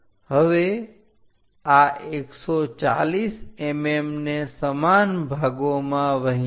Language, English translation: Gujarati, Now, divide this into equal parts 140